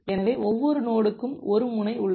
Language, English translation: Tamil, So, each node has an edge